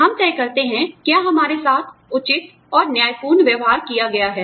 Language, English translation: Hindi, And, we decide, whether we have been treated, fairly and justly